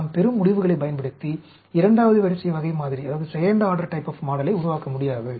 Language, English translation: Tamil, We cannot use the results we get to develop a second order type of model